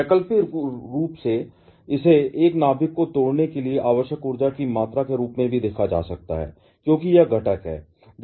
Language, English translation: Hindi, Alternatively, it can be also be viewed as the amount of energy required to break a nucleus into it is constituents